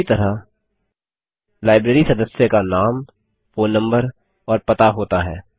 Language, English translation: Hindi, Similarly, a Library member has a Name, phone number and an address